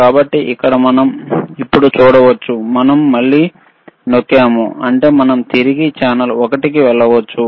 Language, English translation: Telugu, So, here, we can see now, we are again pressing it; that means, we can go back to channel one when we switch off the mode